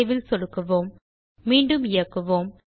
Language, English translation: Tamil, Click on Save Let us execute again